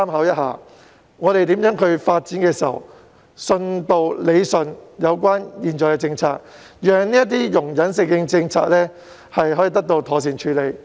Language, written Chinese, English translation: Cantonese, 我們在探討如何發展的同時，亦應更新並理順現行的政策，讓容忍性政策得以妥善執行。, While exploring the direction of development we should also update and rationalize the existing policies to facilitate proper implementation of the toleration policy